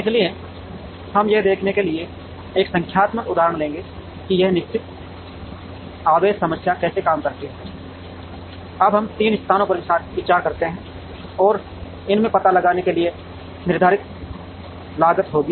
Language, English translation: Hindi, So, we will take a numerical example to show, how this fixed charge problem works, now let us consider 3 locations and the fixed cost to locate in these would be